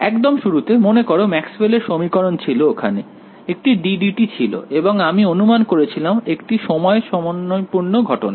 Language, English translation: Bengali, In the very beginning, there was a remember Maxwell’s equation; there was a d by d t and I assumed a time harmonic case